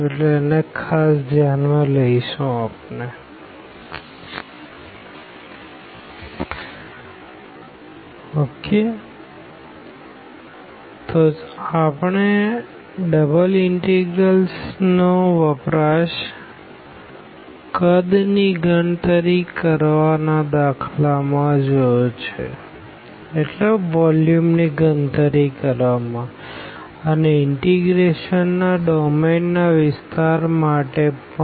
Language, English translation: Gujarati, So, we have already seen the applications of double integrals for computing volume for example, and also the area of the domain of integration